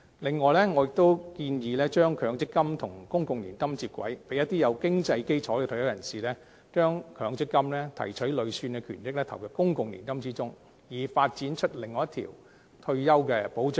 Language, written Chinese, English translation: Cantonese, 另外，我亦建議把強積金和公共年金接軌，讓有經濟基礎的退休人士提取強積金累算權益投入公共年金之中，以發展出另一條退休保障的道路。, Besides I have also proposed to link up the MPF schemes with the public annuity scheme so that retirees with a sound financial basis may withdraw and deposit their MPF accrued benefits into their public annuity accounts to open up another avenue for assuring their retirement protection